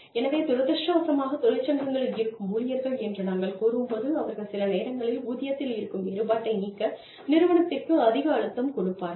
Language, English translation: Tamil, So, but unfortunately, when we say, unionized employees, they are sometimes, the people, who put a lot more pressure on the organization, to compress the salaries